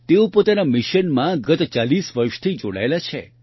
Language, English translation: Gujarati, He has been engaged in this mission for the last 40 years